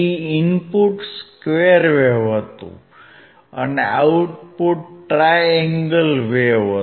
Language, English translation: Gujarati, Input was a square wave and the output was a triangular wave